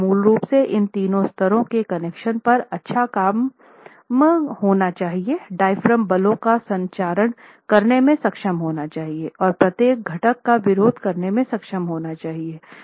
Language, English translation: Hindi, So you will basically work on all these three levels, connections should be good, diaphragm should be capable of transmitting forces and each component must be able to resist and therefore interventions would have to focus on these three aspects